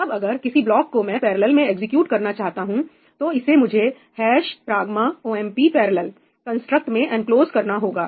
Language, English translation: Hindi, And now, whenever I want some particular block to be executed in parallel, I have to enclose it within the construct ‘hash pragma omp parallel’